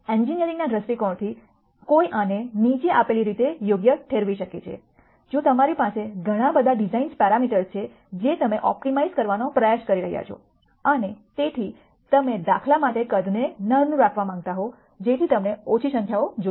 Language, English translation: Gujarati, From an engineering viewpoint one could justify this as the following;if you have lots of design parameters that you are trying to optimize and so on, you would like to keep the sizes small for example, so you might want small numbers